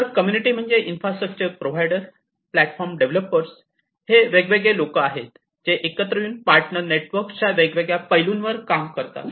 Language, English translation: Marathi, So, the community the infrastructure providers, the platform developers, these are different, you know, they are the different aspects that different people that join hands in the partner network